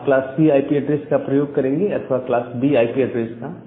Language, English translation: Hindi, So, whether you should use a class C IP address or you should use a class B IP address